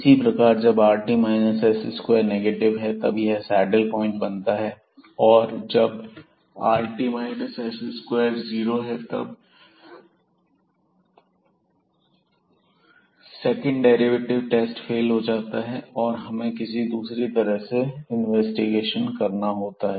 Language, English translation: Hindi, Similarly when this is negative rt minus s square then, this comes out to be a saddle point and if this rt minus s square is 0 then, this test of the second derivatives this fails and we need to go for further investigation by some other ways